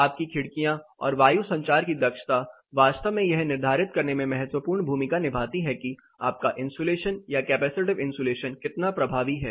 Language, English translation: Hindi, Your windows and the ventilation efficiency really play crucial role in determining how effective your insulation or the capacitive insulation precisely functions